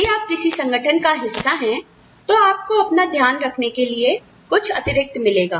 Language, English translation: Hindi, That, if you are a part of an organization, you will get something a little extra, to take care of you